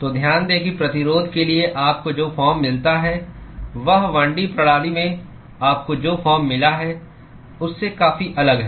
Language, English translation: Hindi, So, note that the form that you get for the resistance is quite different than from what you got in a 1 D system